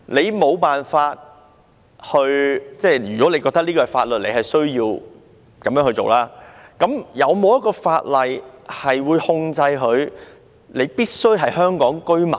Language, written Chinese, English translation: Cantonese, 如果有人認為這是法律，有需要依循，那有否法例控制申請者必須是香港居民呢？, If someone thinks that this practice has legal basis and has to be followed I would ask whether there is any law to restrict that the applicant must be a Hong Kong resident